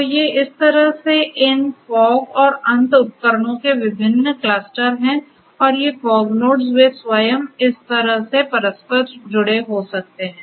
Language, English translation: Hindi, So, these are the different different clusters of these fog and end devices in this manner and these fog nodes they themselves could be interconnected like this right